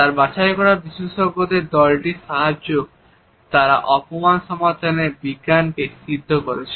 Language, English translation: Bengali, And with his handpicked team of experts they perfected the science of solving crimes